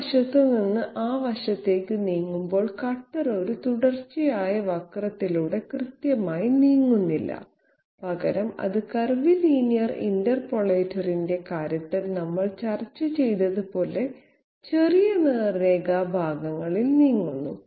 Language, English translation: Malayalam, The cutter while moving from the side to that side does not exactly move along a continuous curve, rather it moves in small straight line segments just as we discussed in case of curvilinear interpolator